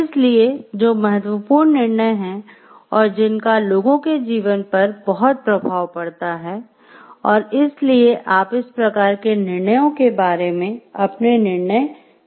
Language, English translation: Hindi, So, those which are important decisions and which have great impact on the life of people so, these are you like make your judgments regarding these type of decisions